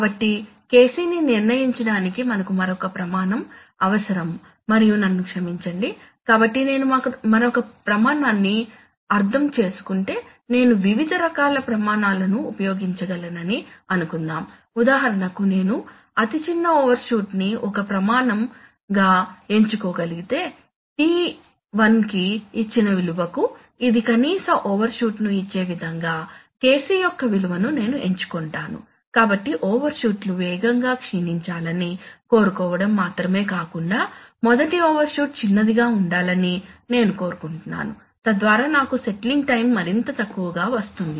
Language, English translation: Telugu, So we have another criteria needed to determine KC and, I am sorry about this one, so if I so I mean another criteria and then, suppose I could use various kinds of criteria so for example one criteria I could choose is that smallest overshoot, I will choose that value of KC which for a given value of T1 gives me the minimum overshoot, so I am, I not only want that the overshoots will decay fast, I also want the first overshoot to be small, so that I will reach settling time will become even smaller right